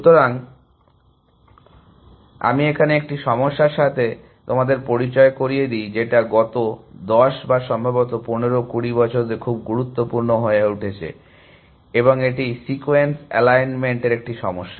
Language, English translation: Bengali, So, let me introduce to a problem which has in the last 10 or years or maybe 15, 20 years has become very important, and that is a problem of sequence alignment